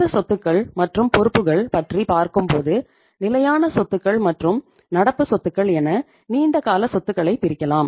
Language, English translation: Tamil, When you talk about these two, you have long term assets called as fixed assets and current assets